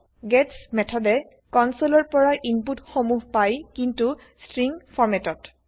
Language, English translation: Assamese, gets method gets the input from the console but in a string format